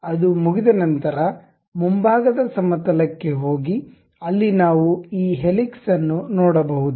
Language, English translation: Kannada, Once it is done go to front plane where we can see this helix thing